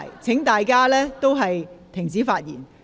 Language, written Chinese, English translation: Cantonese, 請大家停止發言。, Will Members please stop speaking